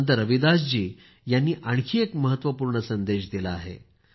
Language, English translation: Marathi, In the same manner Sant Ravidas ji has given another important message